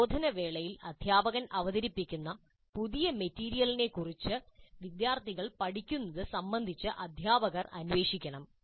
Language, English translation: Malayalam, During instruction, teacher must probe the students regarding their learning of the new material that is being presented by the instructor